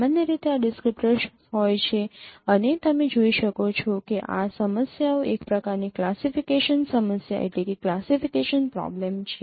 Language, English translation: Gujarati, Then usually this is a descriptor and usually as you can see these problems are kind of a classification problem